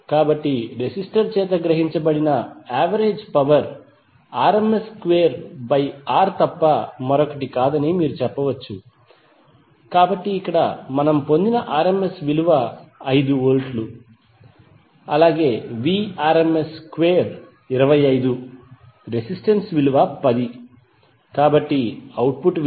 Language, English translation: Telugu, So the average power absorbed by the resistor you can say that P is nothing but rms square by R, so here rms value which we derived is 5 volts, so Vrms square is 25, resistor value is 10, so output would be 2